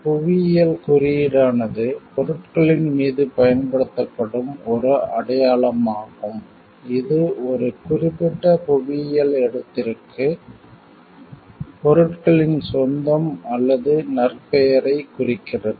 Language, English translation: Tamil, Geographical indication is a sign used on goods that denotes the belongingness of the goods or reputation to a particular geographical location